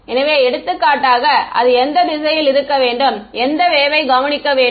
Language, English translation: Tamil, So, for example, this part over here what all should be in what direction should it observe the wave